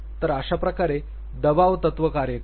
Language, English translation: Marathi, So, that is how the pressure principle operates